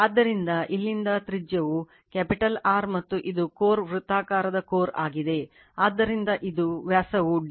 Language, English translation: Kannada, So, from here to your mean radius is capital R right, and this is the core circular core, so it is diameter is d right